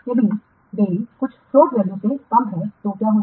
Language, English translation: Hindi, If the delay is less than the total float value then what will happen